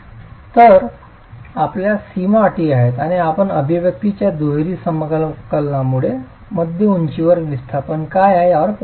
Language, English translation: Marathi, So you have boundary conditions and you can actually then be able to arrive at what is the displacement at mid height by double integration of the expression